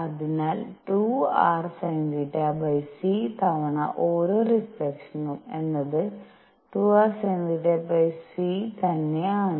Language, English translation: Malayalam, So, 2 r sin theta divided by c time per reflection is 2 r sin theta divided by c